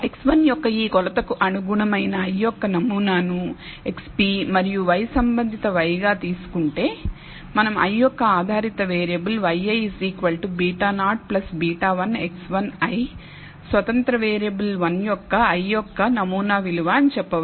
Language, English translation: Telugu, If we take the ith sample corresponding to this measurement of x 1 to x p and y corresponding y we can say that the ith sample dependent variable y i is equal to beta naught plus beta 1 x 1 i, the ith sample value of the independent variable 1